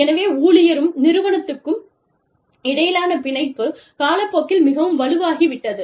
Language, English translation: Tamil, So, the bond between the employee and the organization, has become much stronger, over time